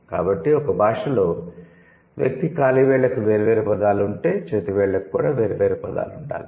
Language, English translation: Telugu, So, that is why if a language has words for individual toes, it must have words for the individual fingers